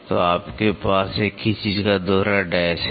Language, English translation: Hindi, So, you have a double dash the same thing